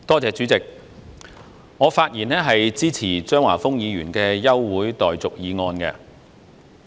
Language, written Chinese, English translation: Cantonese, 主席，我發言支持張華峰議員的休會待續議案。, President I rise to speak in support of Mr Christopher CHEUNGs adjournment motion